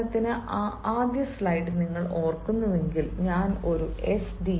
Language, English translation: Malayalam, for example, if you remember the first slide, i had said a sdo, a sdo